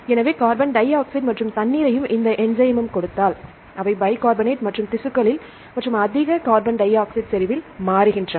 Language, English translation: Tamil, So, if give carbon dioxide plus water and this enzyme they convert into bicarbonate and in tissues and in the high carbon dioxide concentration